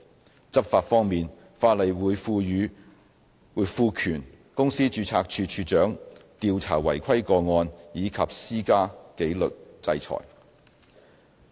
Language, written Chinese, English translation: Cantonese, 在執法方面，法例會賦權公司註冊處處長調查違規個案及施加紀律制裁。, On enforcement the Registrar of Companies will be empowered to investigate any non - compliance cases and impose disciplinary sanction